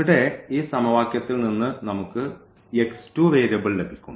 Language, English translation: Malayalam, So, here from this equation we will get x 2 variable